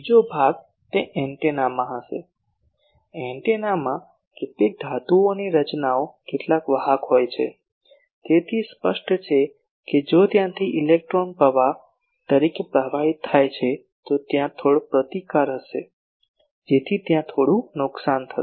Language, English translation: Gujarati, The second part will be that in the antenna; in antenna there are some metallic structures some conductors, so obviously, if electrons flow from there as a current then there will be some resistance, so that will there will be some loss